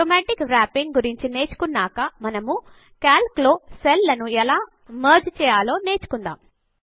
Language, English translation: Telugu, Lets undo the changes After learning about Automatic Wrapping, we will now learn how to merge cells in Calc